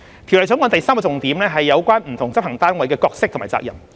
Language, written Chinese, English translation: Cantonese, 《條例草案》第三個重點是有關不同執行單位的角色和責任。, The third key feature of the Bill concerns the role and responsibilities of different enforcement units